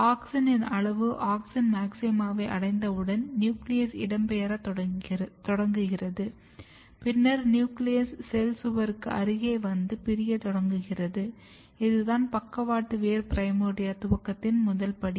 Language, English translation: Tamil, Once auxin amount is reaching to the auxin maxima nucleus start migrating, nucleus is coming close to the cell wall or cell wall then the cells are dividing, this is the very first step of lateral look primordia initiation